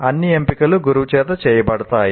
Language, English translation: Telugu, So all the choices are made by the teacher